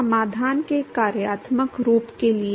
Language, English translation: Hindi, So, the functional form of the solution for